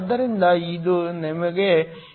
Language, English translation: Kannada, So, this gives you 2